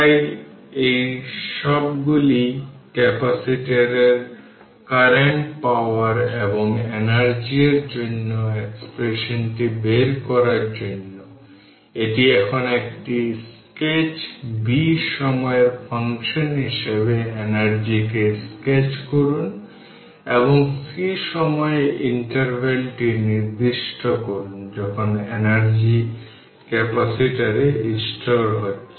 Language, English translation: Bengali, So, what what we have to do is that, we have to find out all these derive the expression for the capacitor current power and energy, this is now a, sketch b sketch the energy as function of time, c specify the inter interval of time when the energy is being stored in the capacitor right